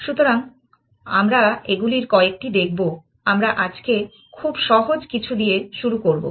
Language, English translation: Bengali, So, we will look at couple of them, we will start with some very simple thing today